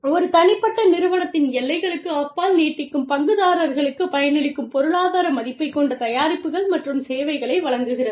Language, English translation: Tamil, Of products and services, that have economic value, that are beneficial for stakeholders, extending beyond the boundaries, of a single organization